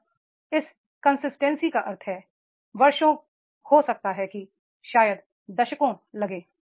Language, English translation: Hindi, And this consistency means years together, maybe decades